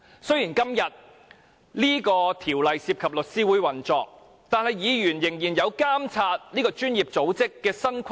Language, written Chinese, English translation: Cantonese, 雖然《公告》涉及律師會的運作，但議員仍有責任監察這個專業組織的新規則。, Although the Notice is concerned with the operation of Law Society Members still have the responsibility to monitor the new rules of this professional organization